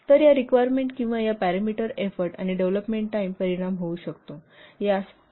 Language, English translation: Marathi, So these requirements or these parameters may affect the effort and development time